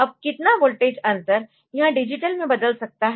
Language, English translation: Hindi, Now what is the difference in voltage that it can convert it into digital